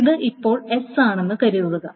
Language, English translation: Malayalam, That consider this is your S